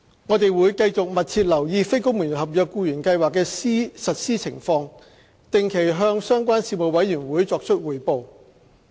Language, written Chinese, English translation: Cantonese, 我們會繼續密切留意非公務員合約僱員計劃的實施情況，定期向相關事務委員會作出匯報。, We will continue to closely monitor the implementation of the NCSC scheme and will brief the relevant panel regularly